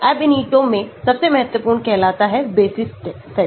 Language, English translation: Hindi, The most important in Ab initio is called basis sets